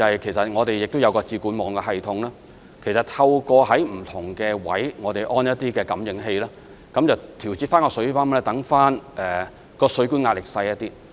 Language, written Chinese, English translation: Cantonese, 此外，我們也設有"智管網"系統，透過在不同位置安裝感應器來調節水泵，令水管的壓力減少。, Moreover we have put in place the Water Intelligent Network system under which sensors are installed at different locations for making adjustments to the water pumps and hence reducing the pressure on the water pipes